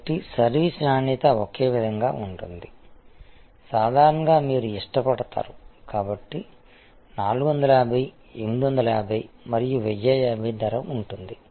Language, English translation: Telugu, So, quality of service being the same, normally you would prefer, so there is price of 450, 850 and 1050